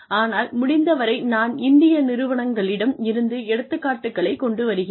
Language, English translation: Tamil, But, as far as possible, I try and bring up examples, from Indian organizations